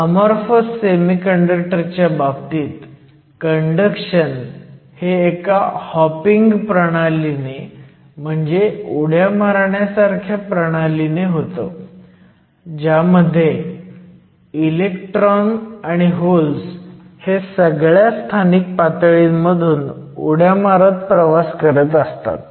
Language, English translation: Marathi, So, in the case of an amorphous semiconductor, conduction takes place through a hopping mechanism where we think of the electrons and holes hopping through all of these localized defect states